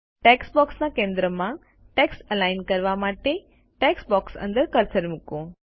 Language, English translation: Gujarati, To align the text to the centre of the text box, place the cursor inside the text box